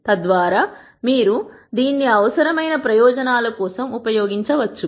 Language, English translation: Telugu, So that you can use it for purposes needed